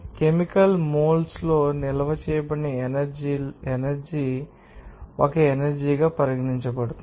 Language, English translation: Telugu, The energy that is stored in chemical moles is does considered a form of you know potential energy